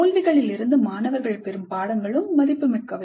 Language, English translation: Tamil, The lessons that the students draw from the failures are also valuable